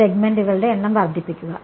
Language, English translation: Malayalam, Increase the number of segments